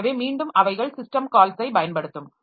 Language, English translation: Tamil, So like that we can have different types of system calls